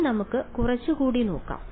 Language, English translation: Malayalam, Now, let us look a little bit more